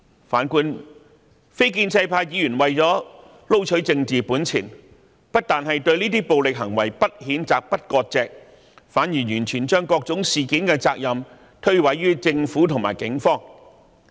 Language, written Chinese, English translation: Cantonese, 然而，非建制派議員為了撈取政治本錢，不但對這些暴力行為不譴責、不割席，反而將各種事件的責任完全諉過於政府和警方。, However in order to reap political capital the non - pro - establishment Members do not condemn and severe ties with the violent acts . On the contrary they put all the responsibility and blame on the Government and the Police . The opposition camp continue to aggravate the social rift